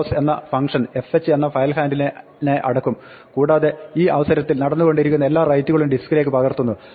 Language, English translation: Malayalam, So, fh dot close, will close the file handle fh and all pending writes at this point are copied out to the disk